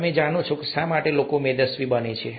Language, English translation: Gujarati, You know, why people become obese